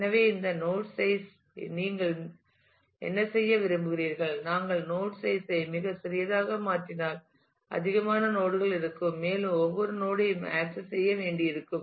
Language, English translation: Tamil, So, what would you like to make this node size, if we make the node size too small, then there will be too many nodes and every node will have to be accessed